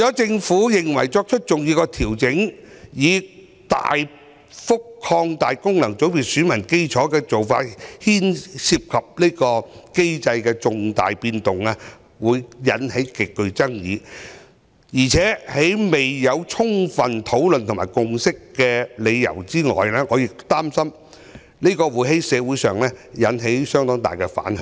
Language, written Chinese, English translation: Cantonese, 政府認為作出重大調整，大幅擴大功能界別選民基礎的做法涉及對機制的重大改動，會引發極大爭議，在未有充分討論和達成共識前，我擔心會引起社會相當大的反響。, The Government believes that major adjustments such as significantly expanding the electorate of FCs would substantially change the mechanism and arouse great controversy . So before a comprehensive discussion is conducted and a consensus reached I am worried that making such a move will have a great backlash in society . On the other hand expanding the electorate of FCs may not necessary enhance the representativeness or recognition of FCs